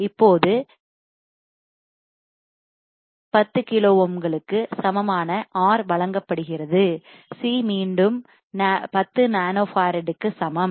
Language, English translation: Tamil, Now, R equal to 10 kilo ohms is given; C equals to 10 nanofarad again given